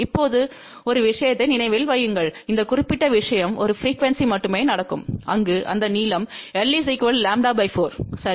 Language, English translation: Tamil, Now, remember one thing; this particular thing will happen only at a single frequency where this length is equal to lambda by 4 , ok